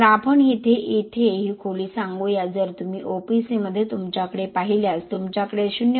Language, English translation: Marathi, So let us say this depth here if you look at you have in OPC you have about 0